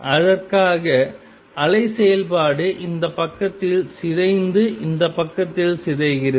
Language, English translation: Tamil, And for that the wave function decays on this side and decays on this side